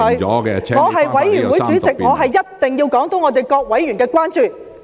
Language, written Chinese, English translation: Cantonese, 我是法案委員會的主席，我一定要說出各委員的關注。, As Chairman of the Bills Committee I must explain the concerns of various members